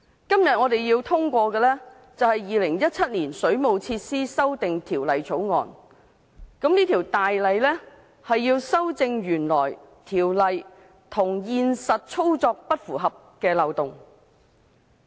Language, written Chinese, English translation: Cantonese, 今天我們要通過的是《2017年水務設施條例草案》，該《條例草案》是要修正原來條例與現實操作不符合的漏洞。, Today we have to pass the Waterworks Amendment Bill 2017 the Bill to plug the loopholes arising from the deviations of the actual industry practice from the existing legal requirement